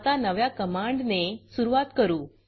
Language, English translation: Marathi, Now let us start with the new command